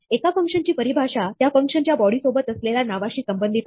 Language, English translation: Marathi, A function definition associates a function body with a name